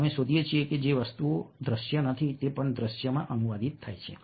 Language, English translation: Gujarati, we find that things which are not visual that are also translated into visuals